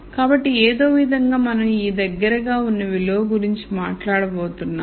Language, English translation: Telugu, So, somehow we are going to talk about this most likely value